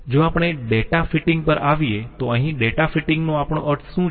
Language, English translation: Gujarati, Coming to data fitting, what we mean by data fitting